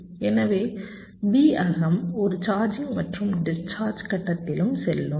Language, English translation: Tamil, so v internal will also be going through a charging and discharging phase